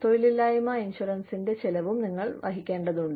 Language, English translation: Malayalam, You also need to cover, the cost of unemployment insurance